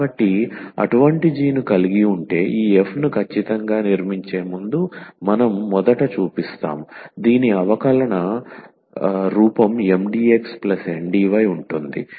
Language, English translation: Telugu, So, having such a g now what we will show first before we exactly construct this f whose differential is M x plus Ndy